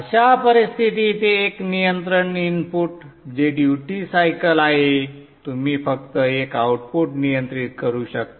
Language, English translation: Marathi, In such a case with one control input which is the duty cycle you can control only one output